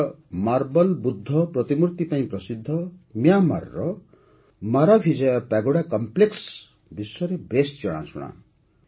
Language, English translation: Odia, Myanmar’s Maravijaya Pagoda Complex, famous for its Marble Buddha Statue, is world famous